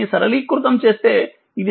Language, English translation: Telugu, So, it is basically 0